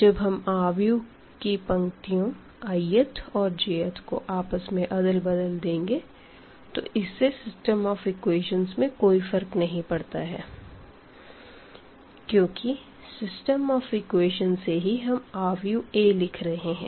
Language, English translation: Hindi, So, we can interchange the i th and the j th row of a matrix and if going back to the system of equations because for the system of equations we are writing the matrix A